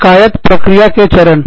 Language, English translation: Hindi, Steps in the grievance procedure